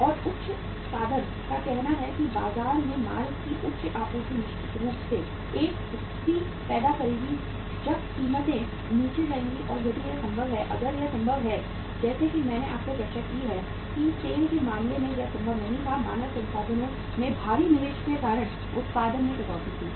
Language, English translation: Hindi, And high means very say uh high supply of the goods in the market will certainly uh create a situation when the prices will go down and if it is possible, if it is possible as I discussed with you that in case of the SAIL it was not possible to cut down the production because of the heavy investment in the human resources